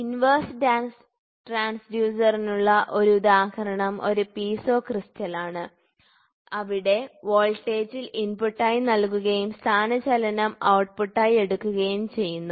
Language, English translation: Malayalam, For example a very common example for inverse transducer is a Piezo crystal where in the voltage is given as the input and displacement is taken as the output